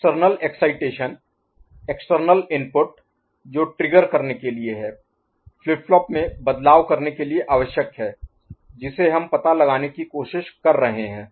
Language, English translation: Hindi, The external excitation, external input that is there to trigger, needed to make a change in the flip flop that is the that is what we are trying to figure out